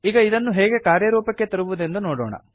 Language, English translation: Kannada, Let us see how it is implemented